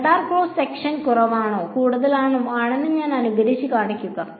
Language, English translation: Malayalam, I simulate and show that the radar cross section is less or more